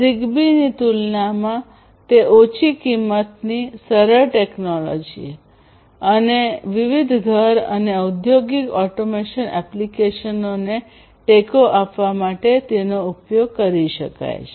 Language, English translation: Gujarati, It is low cost, simpler technology compared to ZigBee and you know it can be used to support different home and you know industrial automation applications